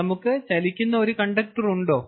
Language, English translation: Malayalam, do we have a conductor that is moving